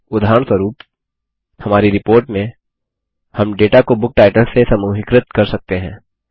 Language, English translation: Hindi, For example, in our report, we can group the data by Book titles